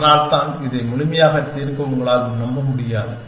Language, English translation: Tamil, And that is why, you cannot even hope to solve this completely